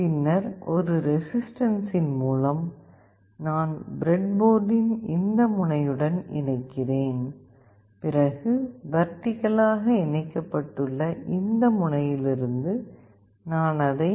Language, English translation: Tamil, Then through a resistance, I connect to this end of the breadboard and from this end that is vertically connected, I will put it to Vcc